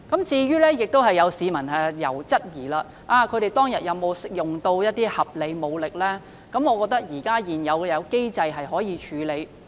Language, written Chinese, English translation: Cantonese, 至於有市民質疑警方當天是否使用合理武力，我認為現有機制可以處理。, As for the public query about whether reasonable force was employed by the Police on that day I believe the existing mechanism can handle it